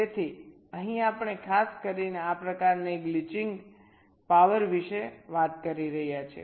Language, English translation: Gujarati, ok, so here we are specifically talking about this kind of glitching power